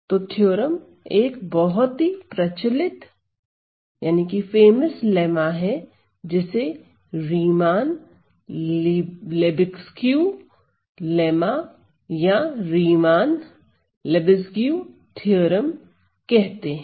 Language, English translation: Hindi, So, the theorem is a very famous lemma called the Riemann Lebesgue lemma or Riemann Lebesgue theorem